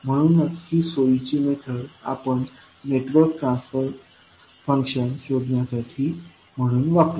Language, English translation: Marathi, So, we will use this as a convenient method for finding out the transfer function of the network